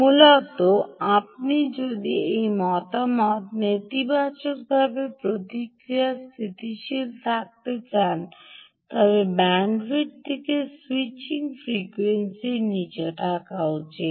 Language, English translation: Bengali, essentially, if you want this feedback negative feedback to remain stable, the bandwidth should be below the switching frequency